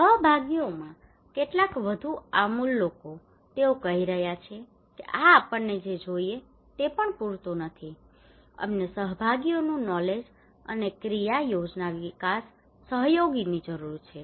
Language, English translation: Gujarati, Some more radical people in participations, they are saying this is not even enough what we need, we need collaborative knowledge and action plan development collaborative, collaborative knowledge